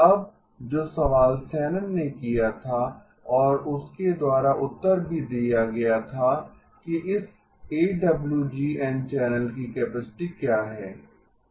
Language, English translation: Hindi, Now the question that was posed by Shannon and also answered by him is what is the capacity of this AWGN channel